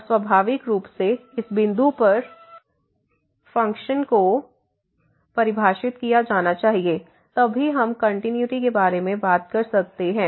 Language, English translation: Hindi, And naturally the function must be defined at this point, then only we can talk about the continuity